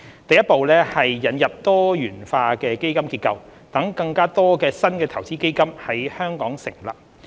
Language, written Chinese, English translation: Cantonese, 第一步是引入多元化基金結構，讓更多新的投資基金在香港成立。, The first step is the introduction of a diversified fund structure to facilitate the establishment of more new investment funds in Hong Kong